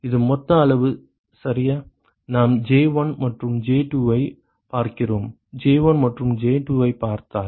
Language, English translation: Tamil, This is total quantity right, we are looking at J1 and J2 looking at J1 and J2